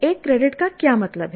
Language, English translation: Hindi, What does one credit mean